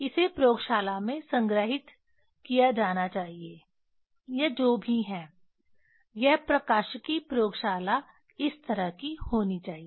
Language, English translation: Hindi, It should be stored in the laboratory; this these are whatever this should be, this optics laboratory should be like this